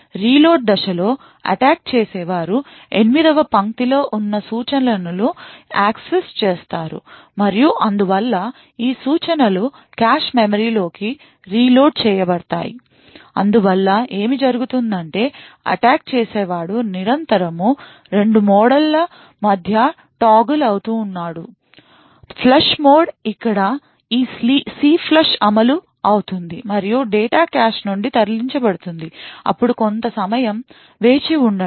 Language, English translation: Telugu, During the reload phase, the attacker would access the instructions present in line 8 and therefore, these instructions would then be reloaded into the cache memory thus what is happening is that the attacker is constantly toggling between 2 modes; flush mode where this CLFLUSH gets executed and data is moved out of the cache, then there is a wait for some time